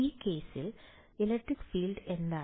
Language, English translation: Malayalam, What is the electric field in this case